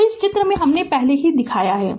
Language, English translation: Hindi, So, figure already I have shown